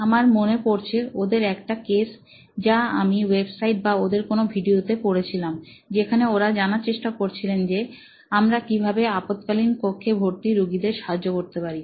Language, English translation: Bengali, They said one of the cases I remember having read in a website or in one of their videos is they were trying to figure out, ‘How can we help emergency room patients